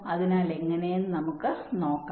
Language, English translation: Malayalam, so let see how